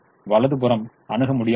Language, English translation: Tamil, the right hand sides are infeasible